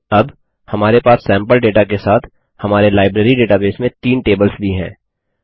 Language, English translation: Hindi, Now, we have the three tables in our Library database, with sample data also